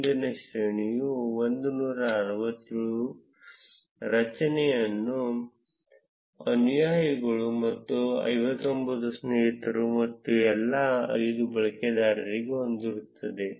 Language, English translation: Kannada, The next array would be 167 followers and 59 friends and so on for all the 5 users